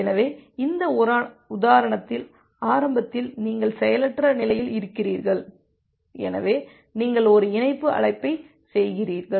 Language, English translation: Tamil, So, let us look in to this example in details, so initially you are in the idle state, now in the idle state so you make a connect call